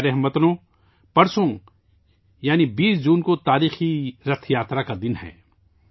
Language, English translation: Urdu, the 20th of June is the day of the historical Rath Yatra